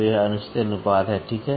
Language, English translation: Hindi, This is the improper ratio, ok